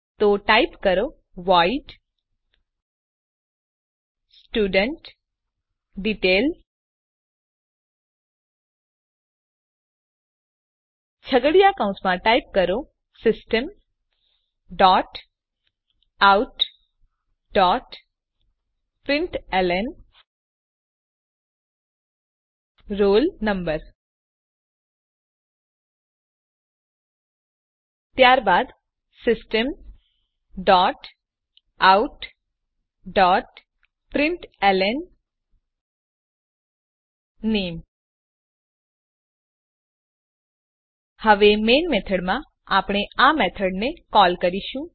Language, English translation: Gujarati, So type void studentDetail() Within curly brackets type System dot out dot println roll number Then System dot out dot println name Now in Main method we will call this method